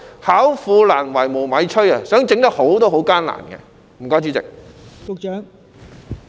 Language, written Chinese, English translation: Cantonese, 巧婦難為無米炊，即使他們想做得好也是很艱難的。, As even the cleverest housewife cannot cook a meal without rice it is very difficult for them to do a good job even if they want to do so